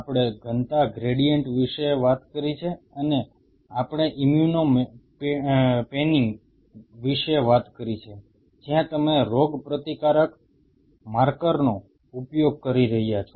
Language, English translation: Gujarati, We have talked about density gradient and we have talked about immuno panning where you are using an immune marker